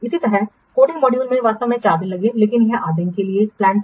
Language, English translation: Hindi, Similarly, coding module actually took four days but it was planned for eight days